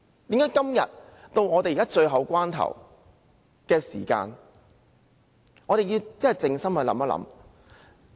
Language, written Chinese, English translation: Cantonese, 到了今天這個最後關頭，我們真的要靜心思考。, As we are now are at the eleventh hour we must stay calm and think